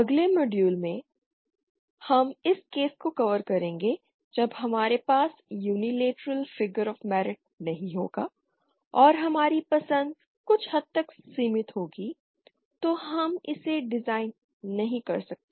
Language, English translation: Hindi, In the next module we shall be covering the case when they when we don’t have this unilateral figure of merit and then we shall that our choices are somewhat limited we cannot design it